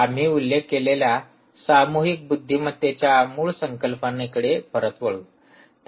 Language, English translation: Marathi, go back to the original concept of collective intelligence we mentioned